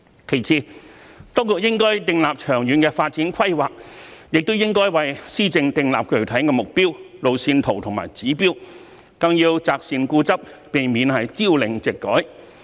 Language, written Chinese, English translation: Cantonese, 其次，當局應訂立長遠發展規劃，也應為施政訂立具體的目標、路線圖和指標，更要擇善固執，避免朝令夕改。, Besides the authorities should map out a long - term development plan and also draw up some specific objectives a road map and certain targets for its governance . It also has to hold fast to the benevolent measures and should avoid making frequent policy changes